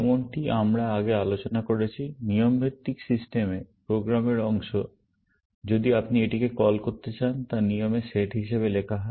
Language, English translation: Bengali, As we discussed earlier, in rule based system, the program part, if you want to call it, is written as a set of rules